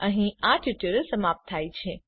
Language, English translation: Gujarati, We have come to the end of this tutorial